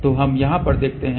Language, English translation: Hindi, So, let us see over here